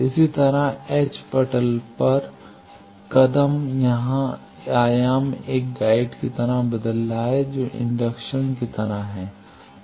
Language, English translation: Hindi, Similarly, h plane step here the dimension is changing of the guide that is like an inductance